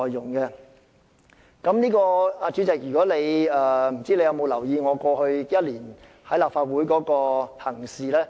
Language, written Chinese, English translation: Cantonese, 我不知道主席有否留意我過去1年在立法會內的行事呢？, I wonder if the President has paid attention to my conduct in the Legislative Council in the past year